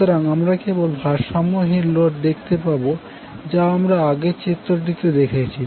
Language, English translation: Bengali, So we will see only the unbalanced load as we saw in the previous figure